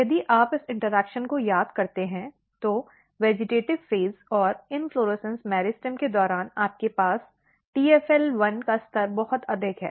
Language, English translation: Hindi, If you summarize this interaction, so during vegetative phase and the inflorescence meristem you have TFL1 level very high